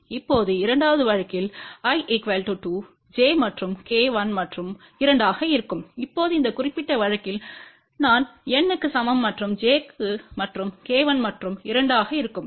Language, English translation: Tamil, In the second case now, i is equal to 2, j and k remain 1 and 2 and in this particular case now, i is equal to N and j and k will be 1 and 2